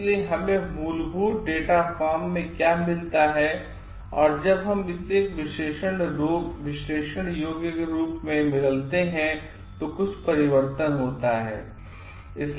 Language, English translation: Hindi, So, what we get in a like raw data form and when we transform it into an analyzable form, certain transformation happens